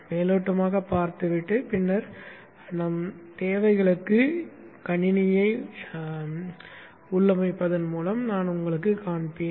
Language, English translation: Tamil, I will show you by taking a walkthrough and then configuring the system to our needs